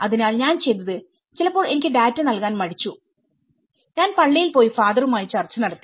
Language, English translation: Malayalam, So, what I did was sometimes they were not they were hesitant to give me data I went to the church I discussed with the father